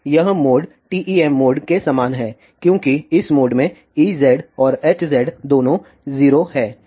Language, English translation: Hindi, So, this mode is same as the TEM mode because E z and H z both are 0 in this mode